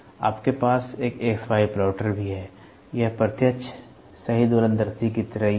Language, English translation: Hindi, You also have an XY plotter; it is the same like the direct, right oscilloscope